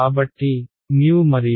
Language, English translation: Telugu, So, mu and